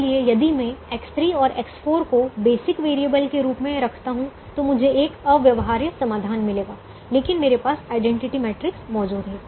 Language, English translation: Hindi, so if i keep x three and x four as basic variables, i will get an infeasible solution, but the identity matrix i have with me